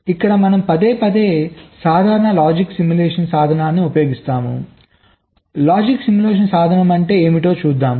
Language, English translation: Telugu, here we are saying that we shall be repeatedly using a simple logic simulation tool